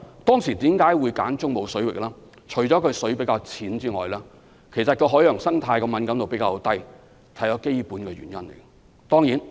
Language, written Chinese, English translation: Cantonese, 當時為何會選擇中部水域，除了因為水比較淺外，海洋生態的敏感度也是較低的，這是基本的原因。, Why did we choose the Central Waters? . Apart from the relatively shallow water in this area the less sensitive marine life is another reason . These are the fundamental factors